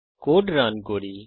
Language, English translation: Bengali, Let us run the code